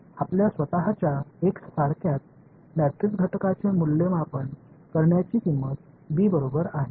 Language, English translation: Marathi, Your cost of just evaluating the matrix elements itself forming a x is equal to b is going to explode